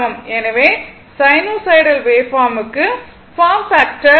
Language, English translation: Tamil, So, for sinusoidal waveform the form factor is 1